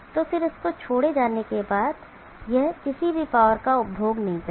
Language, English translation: Hindi, And then after this is release this will not consume any power at all